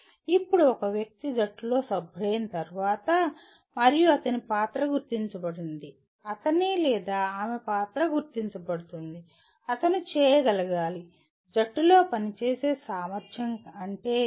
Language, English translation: Telugu, Now an individual after becoming a member of a team and his role is identified, his or her role are identified, he should be able to, what does it mean ability to work in a team